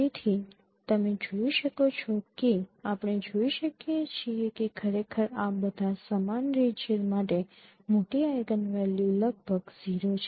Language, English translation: Gujarati, So you can find out that you can see that actually all the uniform regions this larger eigenvalue is almost zero